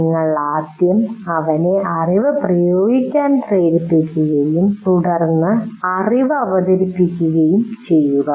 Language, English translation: Malayalam, You first make him apply the knowledge and then present the knowledge